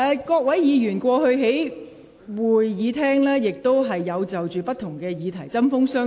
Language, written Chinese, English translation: Cantonese, 各位議員過去在會議廳也曾就不同議題針鋒相對。, There have been heated debates between Members in the Chamber on different topics in the past